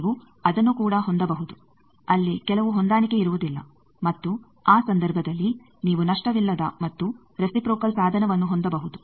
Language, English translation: Kannada, Also you can have that there will be some mismatch and in that case you can have a lossless and reciprocal device